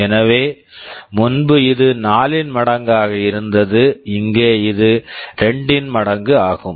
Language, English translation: Tamil, So, earlier it was multiple of 4, here it is multiple of 2